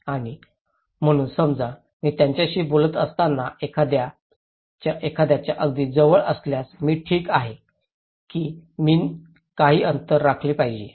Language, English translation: Marathi, And so suppose, if I am very close to someone when I am talking to him, is it okay or should I maintain some distance